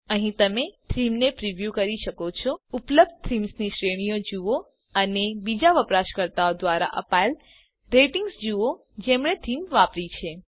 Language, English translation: Gujarati, Here you can preview the theme, see the categories of themes available and see the ratings given by other users who have used the theme